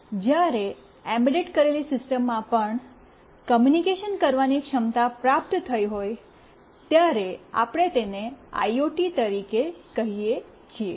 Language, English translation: Gujarati, When an embedded system also has got communication capability, we call it as an IoT